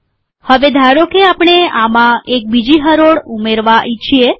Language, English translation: Gujarati, Now suppose we want to add a second row to this